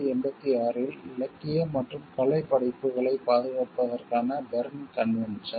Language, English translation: Tamil, Berne convention is for the protection of literary and artistic works in 1886